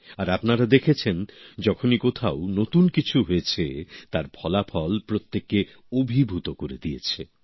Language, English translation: Bengali, And you must have seen whenever something new happens anywhere, its result surprises everyone